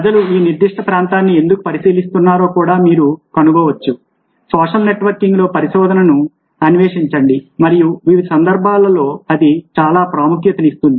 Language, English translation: Telugu, you can also find a why people examine this particular area, explore research in social networking and how it can have significance in various contexts